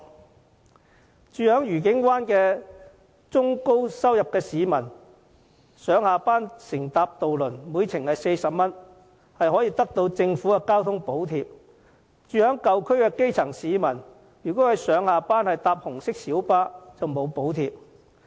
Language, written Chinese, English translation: Cantonese, 家住愉景灣的中高收入市民上下班乘搭渡輪每程40元，可獲政府的交通津貼；住在舊區的基層市民如果上下班乘搭紅色小巴，卻沒有補貼。, Middle - to - high income earners living in Discovery Bay will receive the government transport subsidy for their ferry ride costing 40 per trip to and from work . Grass - roots residents of old districts on the other hand will not be subsidized if commuting by red public light buses